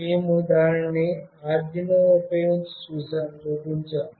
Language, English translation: Telugu, We have shown it using Arduino